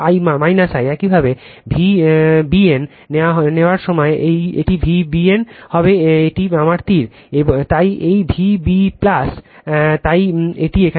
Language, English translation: Bengali, Similarly, when you take V b n, so it will be V b n right this is my arrow, so this V b plus, so this is here minus